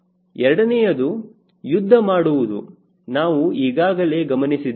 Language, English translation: Kannada, second is combat, which we have seen